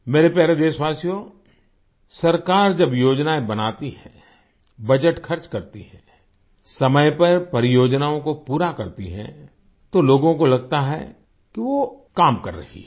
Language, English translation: Hindi, when the government makes plans, spends the budget, completes the projects on time, people feel that it is working